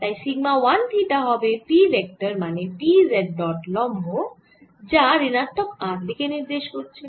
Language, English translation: Bengali, so sigma one theta is going to be p, which is p z times normal, which is pointing in the minus r direction